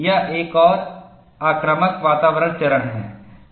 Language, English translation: Hindi, This is another aggressive environment phase